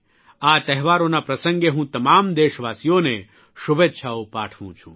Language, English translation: Gujarati, On the occasion of these festivals, I congratulate all the countrymen